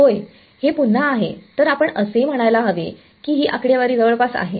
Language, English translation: Marathi, Yeah, well that is again should we say that is the statics approximation